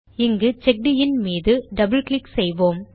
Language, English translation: Tamil, Here we will double click on CheckIn